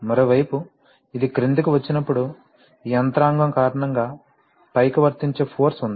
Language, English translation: Telugu, On the other hand, because of this mechanism when this comes downward, there is a force applied upward